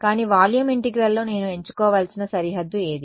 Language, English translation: Telugu, So, in volume integral, what would be the boundary that I have to choose